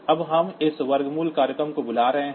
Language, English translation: Hindi, Now, we are calling this square root program